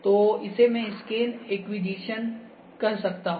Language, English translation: Hindi, So, this is I can say acquisition of scan ok